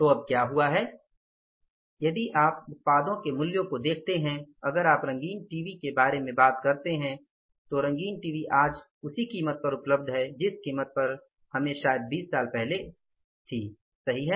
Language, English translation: Hindi, So, what has happened now and if you look at the pricing of the products, if you talk about the colour TVs, colour TVs are say almost available at the same price even today what we were buying the colour TV maybe say how many even 20 years back, right